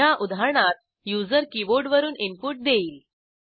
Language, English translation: Marathi, In this example, input is given from the keyboard by the user